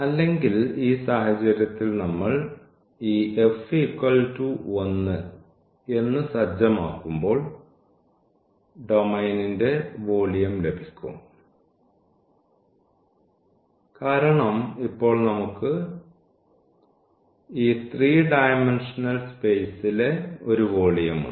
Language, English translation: Malayalam, Or, in this case when we said this f to 1 you will get the volume of the domain because now, we have a 3 then we have a volume in this 3 dimensional space